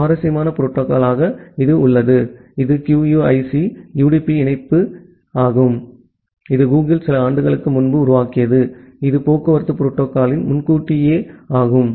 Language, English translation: Tamil, Then the interesting protocol comes which is QUIC, QUIC, UDP internet connection that was developed by Google a couple of years back which is a advance of the transport protocol